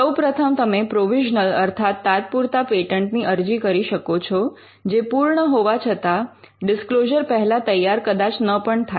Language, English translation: Gujarati, First is that you can file a provisional patent application though complete may not be ready before making the disclosure